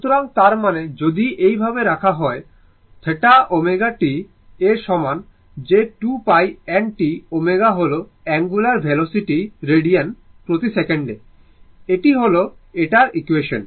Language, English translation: Bengali, So, that means, if you put like this, your theta is equal to omega t that is 2 pi n t omega is angular velocity radian per second, then your what you call, then this equation that